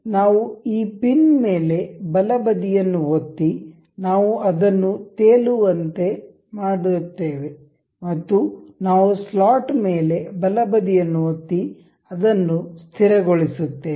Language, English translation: Kannada, We can right click on on this pin, we will make it float and we will right click over the slot and we will make it fixed